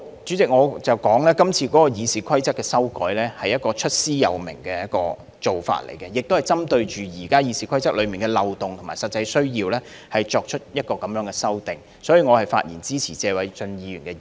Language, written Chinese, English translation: Cantonese, 主席，我想指出，今次《議事規則》的修改，是出師有名的，亦是針對現時《議事規則》的漏洞和實際需要作出相關修訂，所以我發言支持謝偉俊議員的議案。, President I wish to point out that the amendment of the Rules of Procedure this time around is totally legitimate and justifiable and the amendments are targeted at the existing loopholes in the Rules of Procedure and actual needs . Therefore I speak in support of the motion moved by Mr Paul TSE